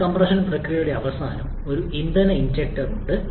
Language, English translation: Malayalam, And now at the end of this compression process, there is a fuel injector